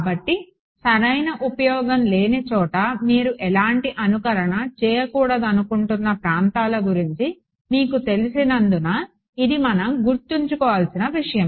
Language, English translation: Telugu, So, this is a something that we should keep in mind for you know regions where you do not want to do any simulation where there is no use right